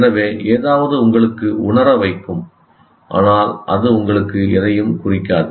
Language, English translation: Tamil, So, something can make sense to you, but it may not mean anything to you